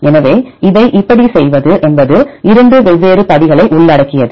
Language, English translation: Tamil, So, how to do that this involves two different steps